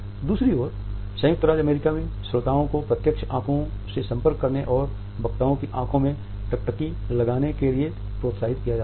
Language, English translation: Hindi, On the other hand in the USA listeners are encouraged to have a direct eye contact and to gaze into the speakers eyes